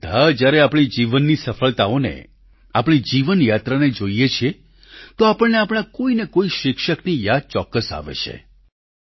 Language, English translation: Gujarati, Whenever we think of the successes we have had during the course of our lifetime, we are almost always reminded of one teacher or the other